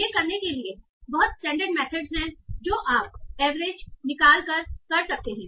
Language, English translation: Hindi, So they are very standard methods for doing that you can take an average and all